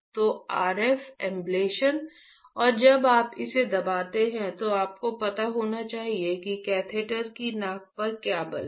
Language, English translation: Hindi, So, RF ablation and when you press it you should know, what is the force at the tip of the catheter right